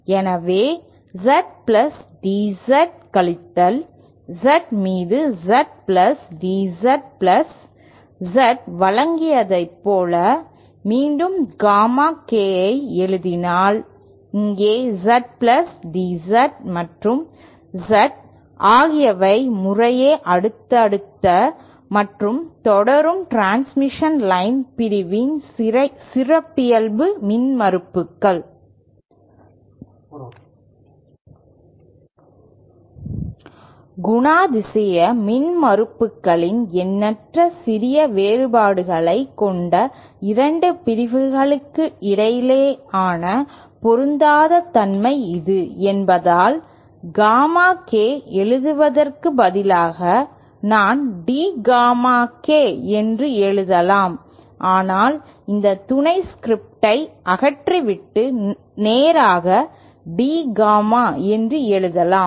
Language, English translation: Tamil, Let us say that Gamma K I define asÉ So if we write the Gamma K once again as the given by Z plus DZ minus Z upon Z plus DZ plus Z, here Z plus DZ and Z are the characteristic impedances of subsequent and proceeding transmission line segment respectively And since this is the mismatch between two sections which have infinitely small differences in characteristics impedances, I can write, instead of writing Gamma K, let me write D Gamma K or I can all together remove this sub script and straight away write it as D Gamma